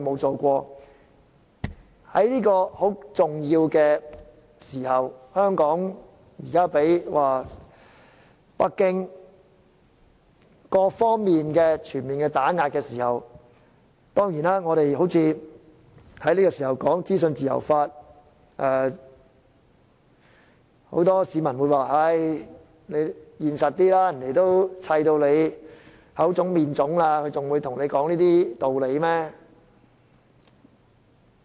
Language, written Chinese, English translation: Cantonese, 在這個嚴峻時刻，香港正遭北京全面打壓，而我們竟在這個時候討論資訊自由法，很多市民便勸我現實一點：他們已打到你口腫面腫，還會跟你說這些嗎？, On seeing us bring forth for discussion the issue of enacting a law on freedom of information at such a critical moment where Hong Kong is being subject to the full suppression by Beijing many members of the public advised me to be more realistic . They say Do you think they will ever talk about this issue with you after punching you in the face?